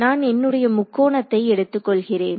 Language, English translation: Tamil, So, I take my triangle ok